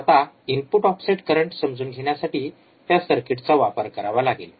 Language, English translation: Marathi, So now, same circuit we have to use for understanding the input offset current